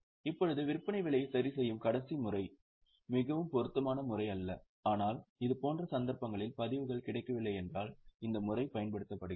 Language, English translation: Tamil, Now the last method that is adjusted selling price is not very suitable method but if the records are not available in such cases this method is used